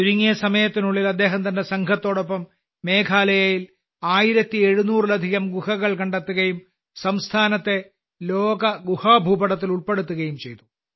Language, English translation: Malayalam, Within no time, he along with his team discovered more than 1700 caves in Meghalaya and put the state on the World Cave Map